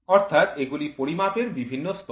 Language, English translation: Bengali, So, these are the different levels of measurement